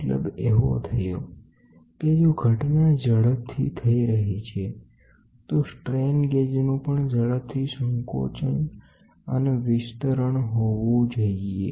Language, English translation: Gujarati, So, that means, to say if the event which is happen is very fast, then the strain gauge must expand and contract also very fast